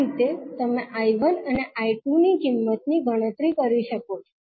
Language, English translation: Gujarati, So, this way you can calculate the value of I1 and I2